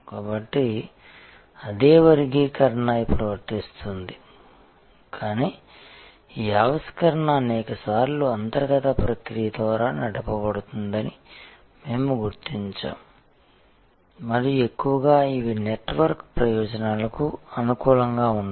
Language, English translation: Telugu, So, that same classification now applies, but we are now recognizing that many times this innovation can be internal process driven and mostly these are the ones which are very amenable to network advantages